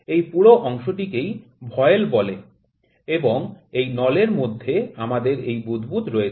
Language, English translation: Bengali, This whole component is known as voile; the cylinder in which we have this bubble